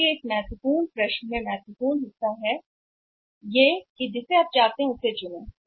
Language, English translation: Hindi, So, that is important part in this important question about you want to choose